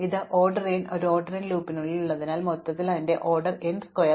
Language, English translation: Malayalam, So, because we have this order n thing inside an order n loop, overall its order n square